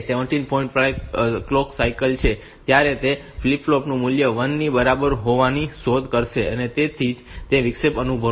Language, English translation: Gujarati, 5 clock cycle then also it will find that flip flop value to be equal to 1, so that interrupt will be sensed